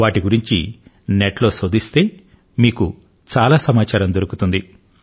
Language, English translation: Telugu, Search about them on the Net and you will find a lot of information about these apps